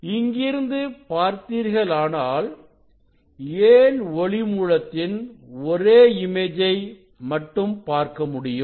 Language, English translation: Tamil, Now, if you see from here, so why we will see the image of this one of source